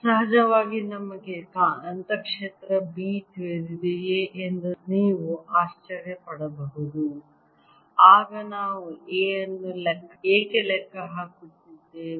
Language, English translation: Kannada, off course, you maybe be wondering: if we know the magnetic field b, why are we calculating a then